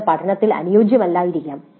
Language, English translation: Malayalam, That may not be very conducive for learning